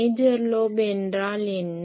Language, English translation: Tamil, What is a major lobe